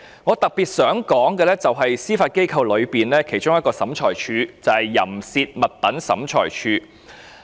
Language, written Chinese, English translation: Cantonese, 我特別想談談司法機構下的一個審裁處——淫褻物品審裁處。, I would like to make special mention of one of the tribunals under the Judiciary―the Obscene Articles Tribunal OAT